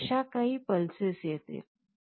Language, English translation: Marathi, So, there will be some pulses coming like this